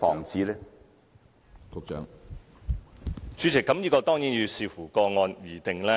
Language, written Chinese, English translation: Cantonese, 主席，這當然要視乎個案而定。, President of course this depends on individual cases